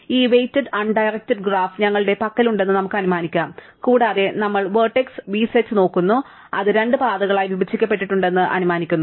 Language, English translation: Malayalam, So, let us assume that we have this weighted undirected graph and we look at the set of vertices v, right and we assume that it is divided into two paths, right